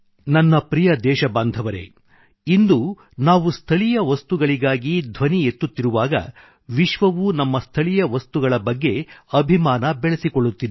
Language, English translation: Kannada, Today when we are going vocal for local, the whole world are also becoming a fan of our local products